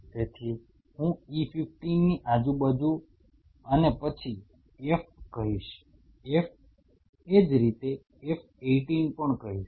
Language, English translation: Gujarati, So, around I would say E15 and then F I would say F 18 likewise